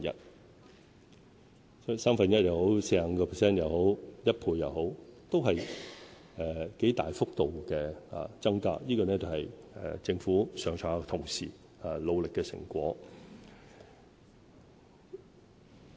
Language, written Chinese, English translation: Cantonese, 所以，不論是三分之一、45% 或1倍，都是很大的增幅，這是政府上上下下同事努力的成果。, Thus the rate of increase be it one third 45 % or 100 % has been significant and that is the result of the hard work of our colleagues at all levels of the Government